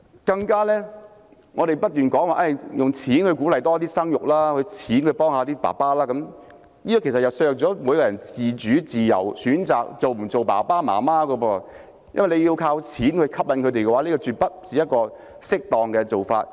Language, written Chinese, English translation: Cantonese, 更為甚者，我們不斷說用錢鼓勵生育、用錢幫助父親，其實這便削弱了每一個人選擇是否當父母親的自主和自由，因為要靠錢吸引他們，這絕非適當做法。, Even worse we keep alive the notion of spending money to encourage childbirth and help fathers . In fact this undermines every individuals autonomy and freedom to choose to be a parent . This approach is absolutely inappropriate because it relies on monetary attractions